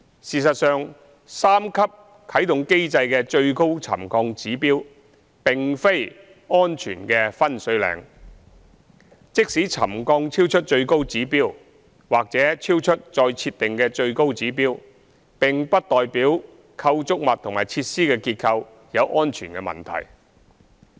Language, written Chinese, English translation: Cantonese, 事實上，三級啟動監察機制的最高沉降指標並非安全的分水嶺，即使沉降超出最高指標或超出再設定的最高指標，並不代表構築物及設施的結構有安全問題。, In fact the highest pre - set trigger level under the three - tier activation mechanism is definitely not a watershed . Even if the settlement of some structures exceeds the highest pre - set trigger level due to the railway works nearby it does not mean that structural safety problems will emerge